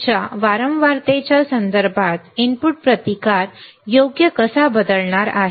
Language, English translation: Marathi, With respect to your frequency how input resistance is going to change right